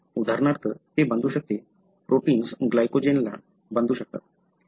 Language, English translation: Marathi, So, for example, it can bind to, the protein can bind to glycogen